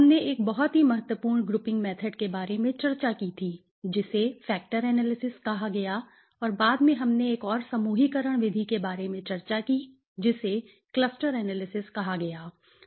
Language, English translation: Hindi, In the last session, we had discussed about a very important grouping method which was called the factor analysis and there after we discussed about another grouping method which was called the cluster analysis right, so factor and cluster were two important techniques